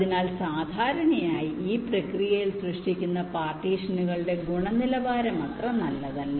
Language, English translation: Malayalam, so usually the quality of the partitions that are generated in this process is not so good